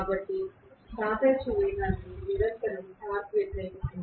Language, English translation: Telugu, So the relative velocity is constantly being opposed by the torque